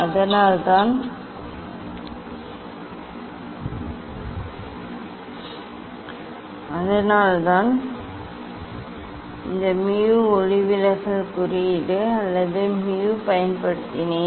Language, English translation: Tamil, that is why this mu refractive index or m earlier I have used n